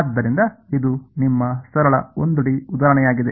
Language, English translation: Kannada, So, this is your very simple 1 D example right